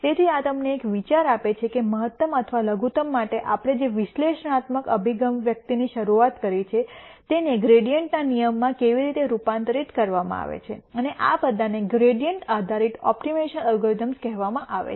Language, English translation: Gujarati, So, this gives you an idea of how the analytical expression that we started with for maximum or minimum is converted into a gradient rule and these are all called as gradient based optimization algorithms